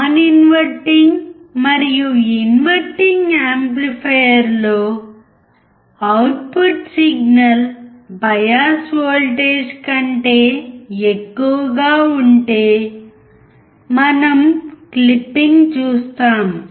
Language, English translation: Telugu, For both non inverting and inverting amplifier, if the output signal is more than the bias voltage, we see a clipping